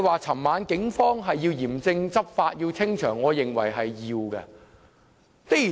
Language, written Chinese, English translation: Cantonese, 昨晚警方嚴正執法和清場，我認為是必要的。, Last night the Police strictly enforced the law and cleared the scene . I think this was necessary